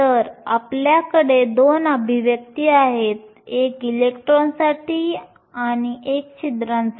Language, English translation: Marathi, So, we have two expressions, one for electrons and one for holes